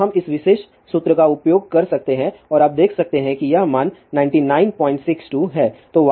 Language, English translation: Hindi, So, we can use this particular formula and you can see this value conserve to be 99